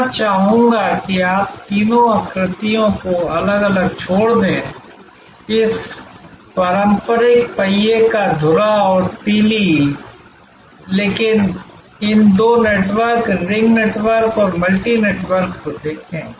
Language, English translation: Hindi, And I would like you to see these three diagrams rather leave aside, this traditional hub and spoke, but look at these two networks, the ring network and the multi network